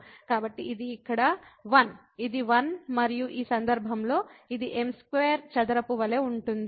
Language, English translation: Telugu, So, this is 1 here, this is 1 and in this case it is a there as square